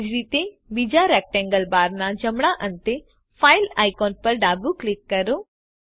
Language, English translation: Gujarati, Similary, left click the file icon at the right end of the second rectangle bar